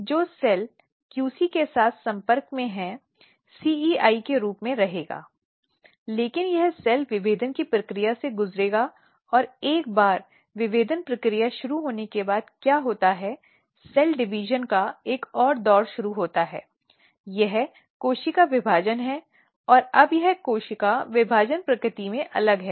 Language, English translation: Hindi, So, after the cell division so the cell division will generate two cells the cells which is now in contact with QC will remain as CEI, but this cells will undergo the process of differentiation and what happens once the differentiation process start its undergo another round of cell division, this is the cell division and now this cell division is different in nature